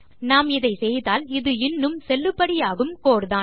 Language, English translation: Tamil, If we do this, this is still a valid code